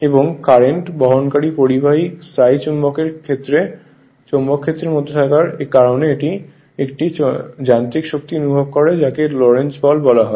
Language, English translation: Bengali, And because the current carrying conductor lies in the magnetic field of the permanent magnet it experiences a mechanical force that is called Lorentz force